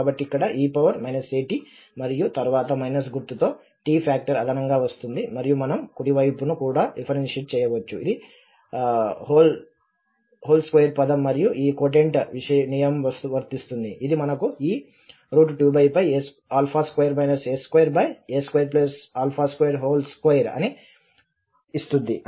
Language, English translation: Telugu, So here e power minus a t and then t factor with minus sign will come extra, and the right hand side again we can differentiate, so the whole square term and then this quotient rule will be applicable, so which can give us this alpha square minus a square over a square plus alpha square whole square